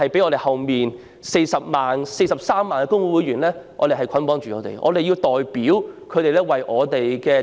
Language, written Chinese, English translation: Cantonese, 我們是被43萬名工會會員捆綁着，因為我們要代表他們為"打工仔"服務。, That is true . We are bundled with our 430 000 members because we have to serve wage earners on their behalf